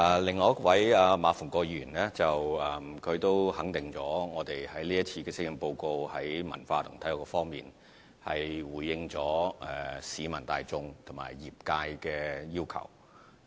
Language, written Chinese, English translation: Cantonese, 另外一位是馬逢國議員，他認同施政報告在文化及體育方面，回應了市民大眾和業界的要求。, The other Member is Mr MA Fung - kwok who acknowledges that the Policy Address has responded to the aspirations of the public and the industry in the areas of arts and sports